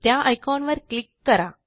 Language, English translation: Marathi, Let us click on this icon